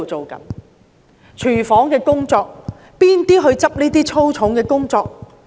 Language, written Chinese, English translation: Cantonese, 例如廚房工作，是誰做這些粗重的工作？, Take kitchen jobs as an example . Who would do such back - breaking jobs?